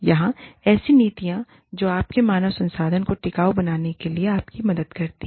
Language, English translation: Hindi, Or, the policies, that help you make, your human resources function, sustainable